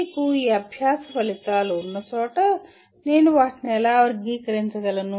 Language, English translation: Telugu, Wherever you have these learning outcomes how do I classify them